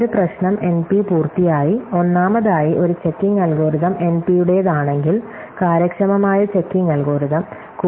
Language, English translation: Malayalam, A problem is NP complete, if first of all it has a checking algorithm belongs to NP, efficient checking algorithm